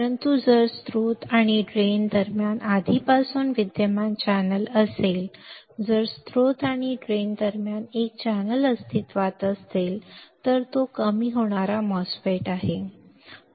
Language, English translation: Marathi, But if there is already existing channel between the source and drain, if there is a channel existing between source and drain then it is a depletion type MOSFET